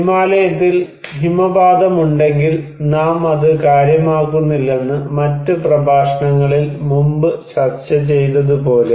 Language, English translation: Malayalam, Like we discussed before in other lectures that if we have avalanches in Himalayas we do not care